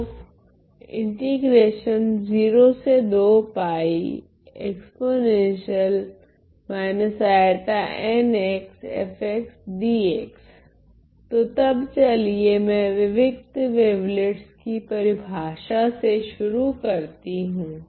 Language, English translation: Hindi, So, then let me just define start by definition of the discrete wavelets